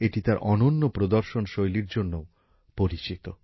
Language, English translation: Bengali, It is also known for its unique display